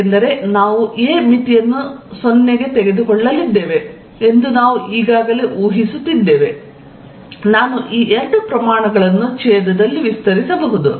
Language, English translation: Kannada, Since, we are already assuming that we are going to take the limit a going to 0, I can expand these two quantities in the denominator